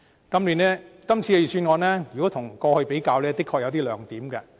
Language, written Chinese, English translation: Cantonese, 跟過去的預算案比較，今次的確有些亮點。, Compared with the Budgets in the past this Budget has some good points indeed